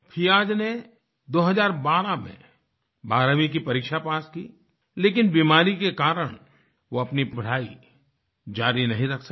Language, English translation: Hindi, Fiaz passed the 12thclass examination in 2012, but due to an illness, he could not continue his studies